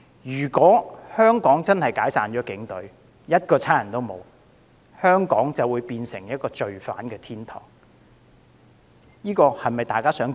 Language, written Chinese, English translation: Cantonese, 如果香港解散警隊，一個警察也沒有，香港便會淪為犯罪天堂，這是否大家樂見？, If the Police Force is disbanded without a single policeman left in Hong Kong Hong Kong will become a crime paradise . Is that what we wish to see?